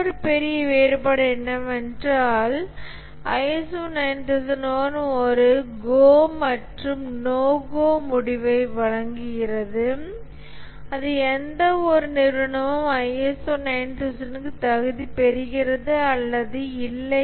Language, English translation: Tamil, Another major difference is that the ISO 9,001 provides a go no go solution that is an organization either qualifies for ISO 9,001 or does not